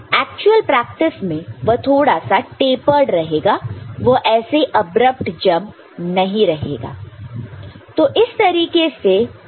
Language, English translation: Hindi, In actual practice, it will be little bit tapered it will not be an abrupt jump like this